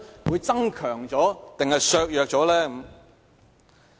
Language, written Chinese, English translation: Cantonese, 會增強還是削弱？, Will this strengthen or weaken our confidence?